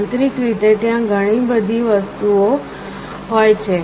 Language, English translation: Gujarati, Internally there are a lot of things